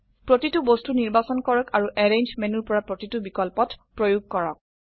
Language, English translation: Assamese, Select each object and apply each option from the arrange menu